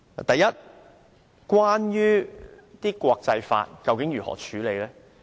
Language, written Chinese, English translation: Cantonese, 第一，國際法將如何適用？, First what is the applicability of international laws?